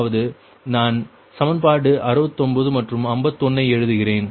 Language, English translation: Tamil, that means i am writing equation, equation, equation sixty nine and fifty one, right